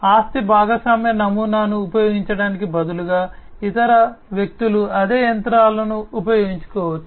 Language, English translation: Telugu, Instead using the asset sharing model, what can be done is that other people can use the same machinery